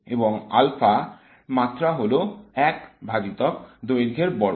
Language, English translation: Bengali, And alpha has the dimensions of one over the length square